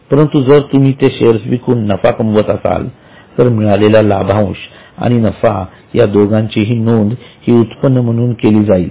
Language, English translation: Marathi, Or if you make profit by selling, then dividend as well as the gain from sale, both together would be shown as other incomes